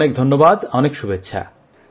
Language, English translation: Bengali, Many good wishes to you